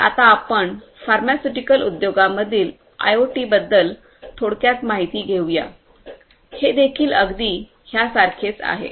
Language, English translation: Marathi, So, let us now take a brief look at IoT in the pharmaceutical industry, this is also very similar